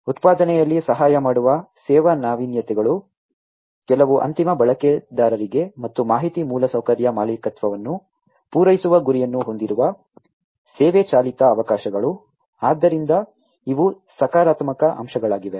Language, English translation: Kannada, The service innovations which aid in the manufacturing; service driven opportunities targeted at serving certain end users and the information infrastructure ownership; so, these are the positive aspects